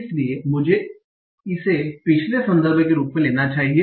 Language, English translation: Hindi, So let me take this as the previous context